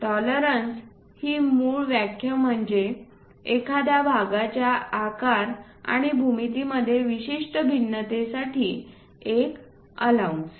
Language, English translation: Marathi, The basic definition for tolerances it is an allowance for a specific variation in the size and geometry of a part